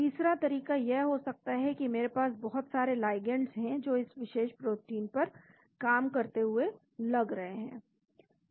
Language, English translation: Hindi, The third approach could be I have lot of ligands which seem to work on the particular protein